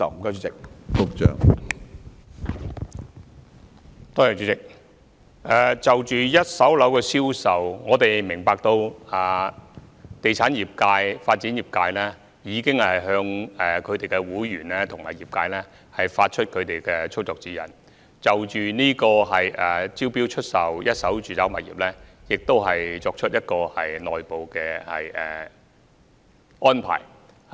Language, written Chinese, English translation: Cantonese, 主席，就着一手住宅物業的銷售，我們明白地產業界、發展業界已向其會員及業界發出操作指引，並已就招標出售一手住宅物業作出內部安排。, President on the sale of first - hand residential properties we understand that the real estate sector and the development sector have issued guidelines to their members and their sectors and made internal arrangements concerning the sale of first - hand residential properties by way of tender